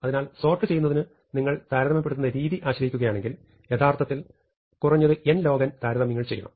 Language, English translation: Malayalam, So, it can be shown that, if you are relying on comparing values to sort them then, you must at least do n log n comparisons, no matter how you actually do the sorting